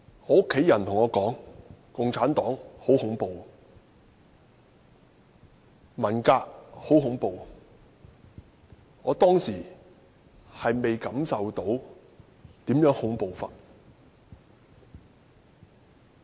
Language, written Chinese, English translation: Cantonese, 我的家人對我說，共產黨很恐怖，文革很恐怖，我當時並未感受到如何恐怖。, My family told me that the Communist Party of China CPC and the Cultural Revolution were horrifying but I had yet to feel how horrifying that was